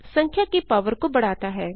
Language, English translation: Hindi, ^ raises a power of the number